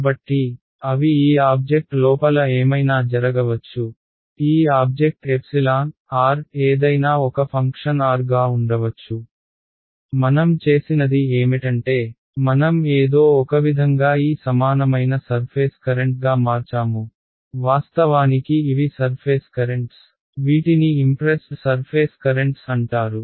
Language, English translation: Telugu, So, they may be anything happening inside this object this object can have any epsilon as a function of r; what we have done is we have some somehow converted that into this equivalent surface currents actually these are surface currents these are called impressed surface currents